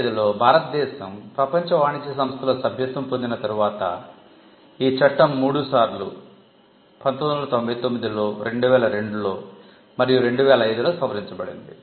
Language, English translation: Telugu, The 1970 act was after India became member of the world trade organization in 1995, the act amended three times, in 1999, in 2002 and in 2005